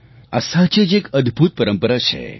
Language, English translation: Gujarati, This is indeed a remarkable tradition